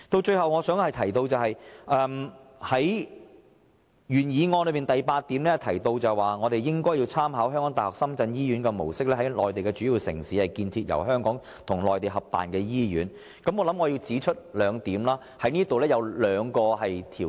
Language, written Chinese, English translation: Cantonese, 最後，關於原議案第八項建議，"參考香港大學深圳醫院的模式，在內地主要城市建設由香港及內地合辦的醫院"，我想指出這當中涉及兩個條件。, Lastly it is proposed in paragraph 8 of the original motion that by drawing reference from the model of the University of Hong Kong - Shenzhen Hospital [to] co - establish hospitals in major Mainland cities by Hong Kong and the Mainland but I would like to point out that this actually involves two conditions